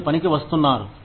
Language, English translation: Telugu, You are coming to work